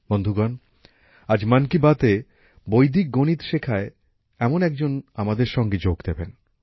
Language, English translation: Bengali, Friends, today in 'Mann Ki Baat' a similar friend who teaches Vedic Mathematics is also joining us